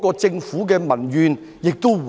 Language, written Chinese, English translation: Cantonese, 這樣亦可減低對政府的民怨。, This can moreover reduce public discontent with the Government